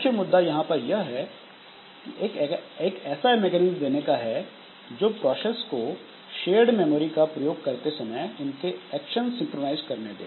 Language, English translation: Hindi, And major issue is to provide mechanism that will allow the user processes to synchronize their actions when they access shared memory